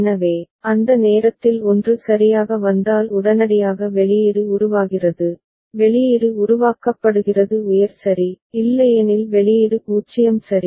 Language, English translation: Tamil, So, at that time if a 1 comes right immediately the output is getting generated, output is getting generated as high ok, otherwise the output remains 0 ok